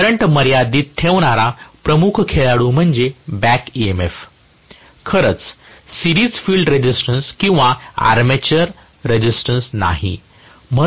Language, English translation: Marathi, The major player in limiting the current is the back emf, not really the series field resistance or armature resistance